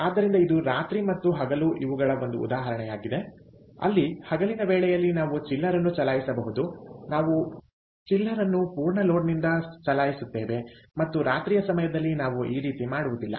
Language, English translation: Kannada, night and day is one where, during the daytime, ah, maybe we can run a chiller at a we, we run the chiller at full load and at night time, we dont, ah